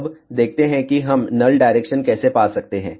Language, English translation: Hindi, Now, let us see how we can find the null direction